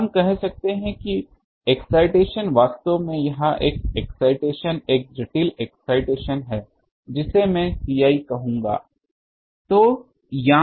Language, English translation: Hindi, So, let us call that the excitation actually this excitation is a complex excitation I will call it C i